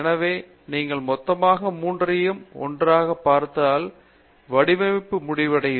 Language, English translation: Tamil, So, if you look at all of 3 of them as a whole, it is end to end design